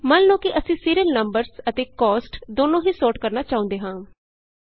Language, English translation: Punjabi, Lets say, we want to sort the serial numbers as well as the cost